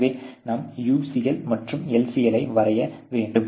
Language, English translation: Tamil, So, this why you draw the UCL and LCL